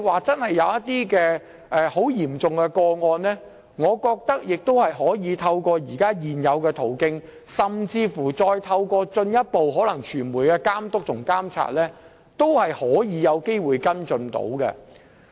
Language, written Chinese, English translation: Cantonese, 即使有十分嚴重的個案，我認為也可透過現有途徑，甚至進一步透過傳媒的監督和監察，有機會作出跟進。, Even though in the face of very serious cases I consider it possible for us to follow them up through the existing channels and pursue the matters further under the supervision and monitoring by the media